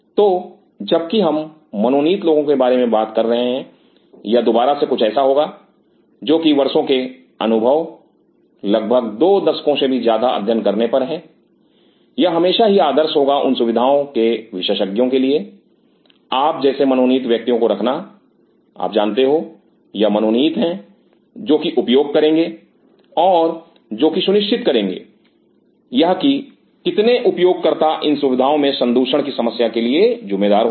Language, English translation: Hindi, So, while talking about designated people this is again something which is over the years of experience of all most now 2 decades have learned, it is always good idea for such specialize facilities to have designated people like you know these are the designated who will be using or who will be kind of will be ensuring it too many users in these kind of facilities leads to lot of contamination problems